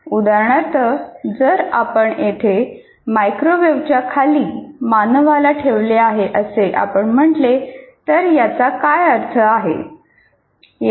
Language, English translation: Marathi, For example, if you say here under microwave microwave we have put humans here